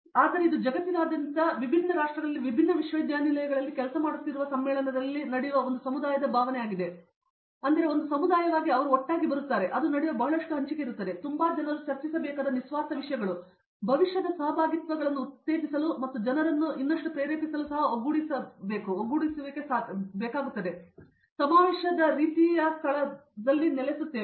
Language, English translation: Kannada, But it is also sort of there is a community feeling that happens in the conference where people are working in different universities across the globe different countries, but they are all come together as a community there is a lot of sharing that happens and it’s a very unselfish thing where people discuss come together, do collaborations and conference sort of place a ground for that also to encourage future collaborations and to inspire people to do more